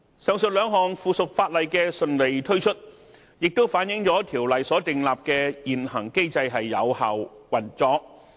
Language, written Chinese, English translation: Cantonese, 上述兩項附屬法例的順利推出，也反映出《條例》所訂立的現行機制有效運作。, The smooth introduction of the two items of subsidiary legislation also shows the effective operation of the existing mechanism established by CWRO